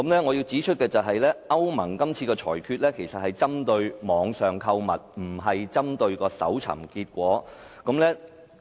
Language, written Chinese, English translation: Cantonese, 我要指出的是，歐盟是次裁決其實是針對網上購物，而非互聯網搜尋結果。, I must point out that the European Union decision is actually about online shopping activities rather than Internet search results